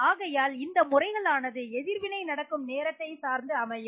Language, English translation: Tamil, So, methods are dependent on the time scale of the reactions